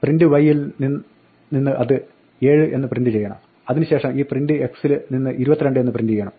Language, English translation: Malayalam, It should print a 7 from the print y and then print 22 from this print x